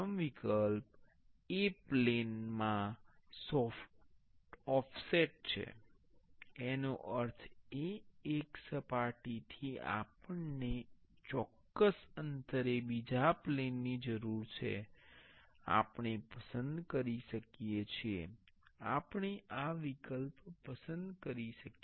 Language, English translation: Gujarati, The first option is offset from a plane, that means, from one surface we need another plane at a particular distance, we can select we can choose this option